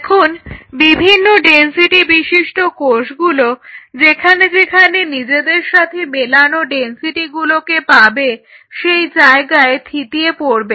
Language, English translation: Bengali, Now the cells of different densities are going to settle down where they find their matching density